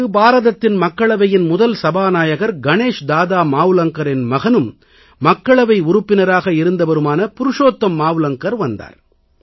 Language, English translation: Tamil, Purushottam Mavlankar, son of India's first Lok Sabha Speaker Ganesh Dada Mavlankar, had come to the hospital to see him